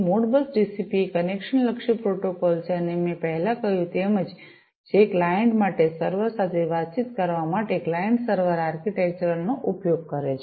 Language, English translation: Gujarati, Modbus TCP is a connection oriented protocol and as I said before, which uses client server architecture for the client to communicate with the server